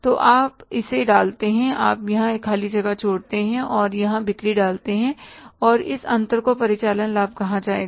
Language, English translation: Hindi, So you put a thing, you leave a blank space here and put here sales and the difference will be called as operating profit